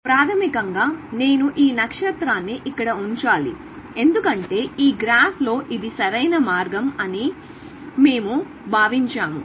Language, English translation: Telugu, So basically, I have to put this star here, because we have assumed that in this graph, this is optimal path